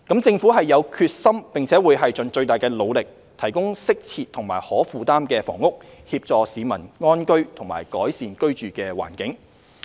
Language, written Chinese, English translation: Cantonese, 政府有決心並會盡最大努力提供適切及可負擔的房屋，協助市民安居和改善居住環境。, The Government has the determination and will make all - out effort to provide suitable and affordable housing so that members of the public can live in contentment and in better living environment